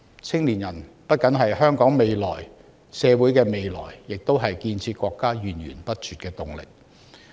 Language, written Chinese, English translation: Cantonese, 青年人不僅是香港社會的未來，也是建設國家源源不絕的動力。, Youths are not only the future of Hong Kong but also an unceasing manpower supply for our countrys development